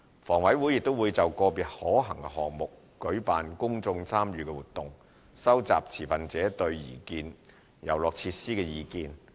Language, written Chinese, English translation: Cantonese, 房委會亦會就個別可行項目舉辦公眾參與活動，收集持份者對擬建遊樂設施的意見。, Whenever feasible HA will also conduct public engagement activities to collect stakeholders views on individual proposals of playground facilities